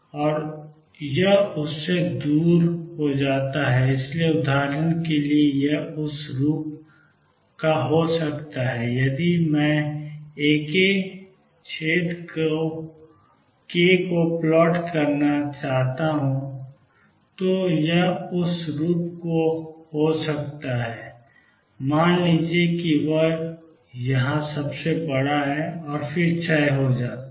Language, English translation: Hindi, And it decays away from this So for example, it could be of the form if I go to plot A k verses k it could be of the form this is suppose k naught it is largest there and then the decays